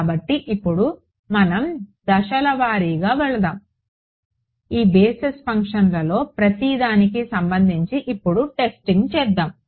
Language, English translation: Telugu, So, now, let us let us go step by step let us do testing now with respect to each of these basis functions ok